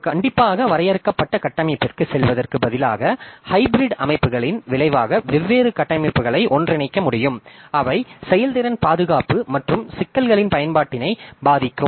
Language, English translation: Tamil, So, instead of going for a single strictly defined structure, we can combine different structures resulting in hybrid systems that will have effect on the performance, security and usability of the issues